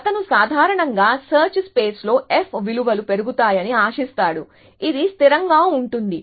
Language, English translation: Telugu, So, he would generally expect f values to increase in a search space, which is consistent